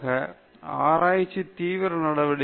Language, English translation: Tamil, Okay, finally, research is a serious activity